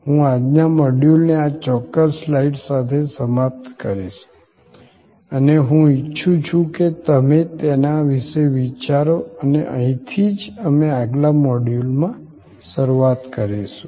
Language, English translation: Gujarati, I will end today's this module with this particular slide and I would like you to think about it and this is where, we will begin in the next module